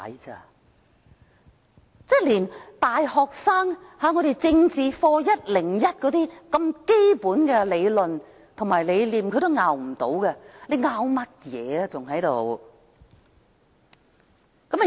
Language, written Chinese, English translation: Cantonese, 他們連大學生政治課101的基本理論和理念也無法反駁，還在此爭拗甚麼呢？, For those who cannot refute even the basic principle and concept of the Politics 101 in universities what is the point of keeping on arguing?